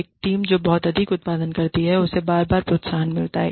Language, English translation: Hindi, A team that produces too much keeps getting the incentives again and again